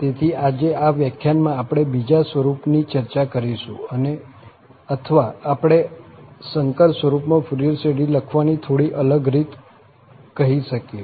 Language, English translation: Gujarati, So, today in this lecture, we will discuss the, another form slightly different way of writing the Fourier series and that is in the complex Form